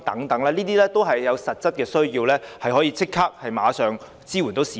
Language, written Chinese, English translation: Cantonese, 這些措施均有實際需要，可以即時支援市民。, These measures are needed for practical reasons so as to provide immediate support for the public